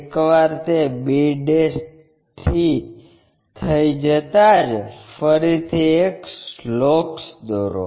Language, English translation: Gujarati, Once, that is done from b ' draw again a locus